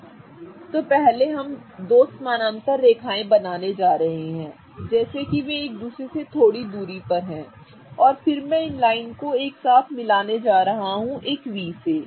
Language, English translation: Hindi, Okay, so what we are going to do first is we are going to draw two parallel lines such that they are a little apart from each other and then I am going to join these two lines using a V